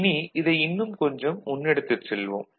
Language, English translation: Tamil, Now, if we take this a bit further